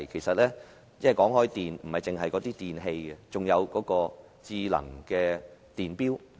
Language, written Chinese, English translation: Cantonese, 說到電，牽涉的不止是電器，還有智能電錶。, Speaking of electricity apart from electrical appliances smart meters are also involved